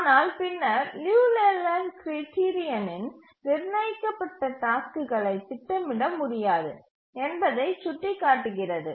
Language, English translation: Tamil, But then the Liu Leland criterion indicated that the task set is not feasibly schedulable